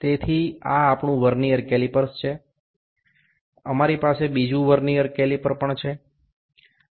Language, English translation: Gujarati, So, this is our Vernier calipers, we also have another Vernier caliper